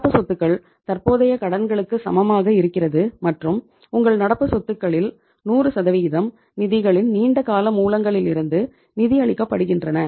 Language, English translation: Tamil, Current assets are just equal to current liabilities and 100% of your current assets are being financed from the long term sources of the funds